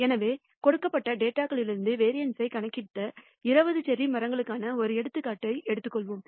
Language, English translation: Tamil, So, let us take an example of the 20 cherry trees we have computed the variance from the given data